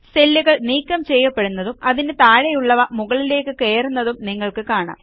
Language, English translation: Malayalam, You see that the cell gets deleted and the cells below it shifts up